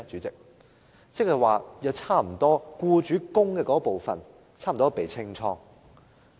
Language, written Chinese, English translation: Cantonese, 即是僱主供款部分差不多被"清倉"。, That means almost all the employer contributions have been washed away